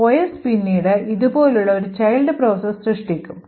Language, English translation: Malayalam, The OS would then create a child process like this